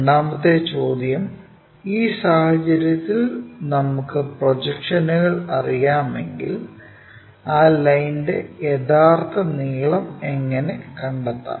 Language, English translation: Malayalam, The second question what we will ask is in case if we know the projections, how to construct find the true length of that line